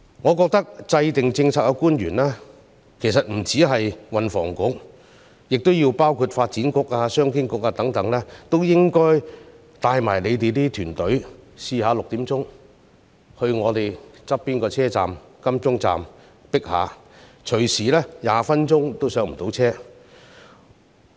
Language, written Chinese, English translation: Cantonese, 我認為制訂政策的官員，不單是運輸及房屋局的官員，還有發展局和商務及經濟發展局等的官員都應該帶同自己的團隊，下午6時到我們鄰近的港鐵金鐘站體驗一下擠迫的情況，隨時20分鐘都不能上車。, I think that the policy - making officials not only those from the Transport and Housing Bureau but also the ones from the Development Bureau and the Commerce and Economic Development Bureau should bring their team to the MTR Admiralty Station nearby at 6col00 pm the time when it is overcrowded . It often takes 20 minutes to board the train